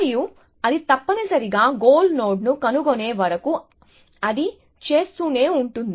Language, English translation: Telugu, And it keeps doing that, till it has found the goal node essentially